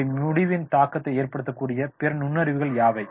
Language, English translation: Tamil, What other insights may impact our decision